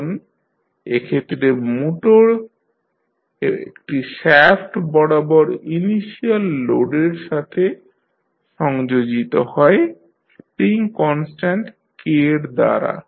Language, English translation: Bengali, Now, in this case the motor is coupled to an inertial load through a shaft with a spring constant K